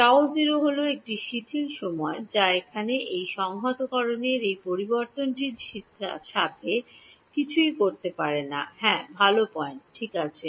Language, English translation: Bengali, tau naught is a relaxation time that has nothing to do with this variable of integration over here yeah good point ok